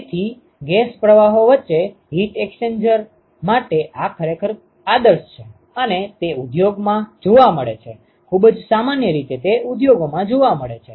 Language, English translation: Gujarati, So, this is really ideally suited for heat exchange between gas streams and it is found in industry very fairly very commonly it is found in industry ok